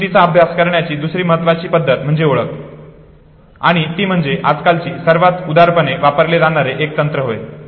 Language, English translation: Marathi, The second important method for studying memories recognition and that is one of the most generously used techniques now a days